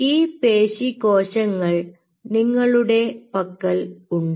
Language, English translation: Malayalam, right, you have these muscle cells